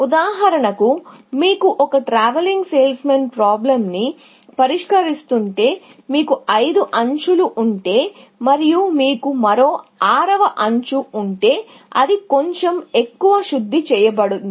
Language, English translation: Telugu, For example, if you are solving a TSP, if you have put in five edges, and if you had one more sixth edge, then that is a little bit more refined